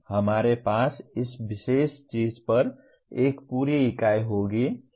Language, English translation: Hindi, We will have a complete unit on this particular thing